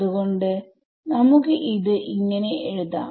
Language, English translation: Malayalam, So, that is how I will write this